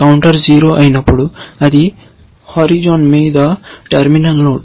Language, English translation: Telugu, When the counter becomes 0 that means, it is a terminal node on the horizon